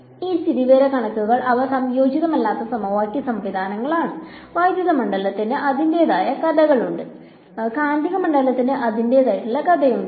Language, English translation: Malayalam, So, these statics they are uncoupled system of equations; electric field has its own story, magnetic field has its own story ok